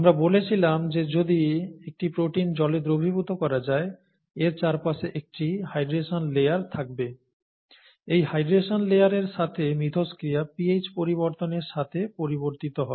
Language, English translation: Bengali, Therefore the way it interacts with the hydration layer; we said that if a protein is dissolved in water, there is a hydration layer around it; the interaction with that hydration layer changes with charge, changes with pH, okay